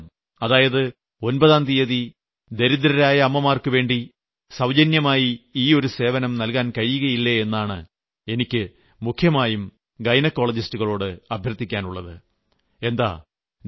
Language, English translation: Malayalam, I have specially asked the gynecologists whether they could offer their services free on the 9th of every month, for the sake of under privileged mothers